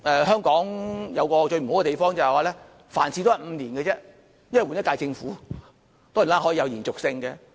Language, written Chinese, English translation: Cantonese, 香港有一個最不好的地方，就是每5年便換一屆政府，當然施政是可以有延續性的。, The nastiest thing in Hong Kong is that a new term of Government will replace a previous term of Government once in every five years . But of course there is a continuity in the policies